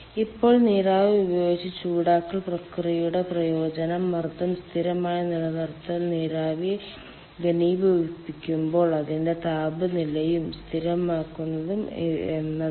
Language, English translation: Malayalam, the advantage of process heating by steam is that when steam condenses ah, if the pressure is kept constant, then its temperature is also constant